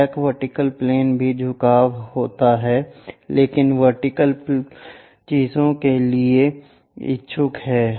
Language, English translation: Hindi, Auxiliary vertical plane is also inclined, but inclined to vertical thing